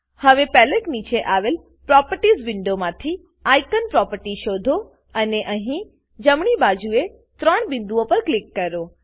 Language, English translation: Gujarati, Now from to Properties Window below the palette, search for the icon property and click on the 3 dots here on the right